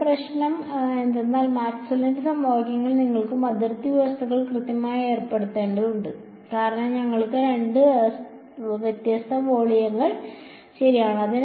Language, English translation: Malayalam, The trouble over here is that Maxwell’s equations have to you also have to impose boundary conditions right, because you have two different volumes right